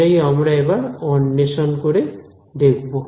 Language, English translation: Bengali, So, that is what we are going to investigate